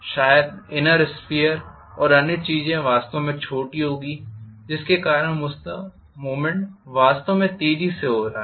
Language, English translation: Hindi, Maybe the inner sphere and other things will be really really small because of which the movement is taking place really really fast